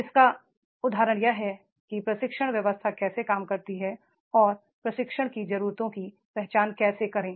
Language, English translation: Hindi, Example of that is how the training system works and how to identify the training needs